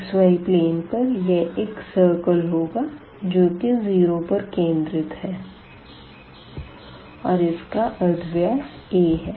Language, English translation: Hindi, So, in the xy plane this will be a circle of radius a center at 0